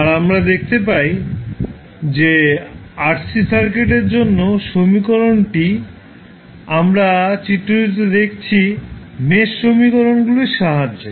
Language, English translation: Bengali, And we found that the equation for the RC circuit which we are seeing in the figure was was derived with the help of mesh equations